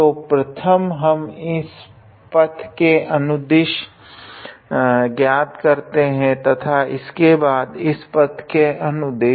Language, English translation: Hindi, So, first we will evaluate along this path and then we will along this path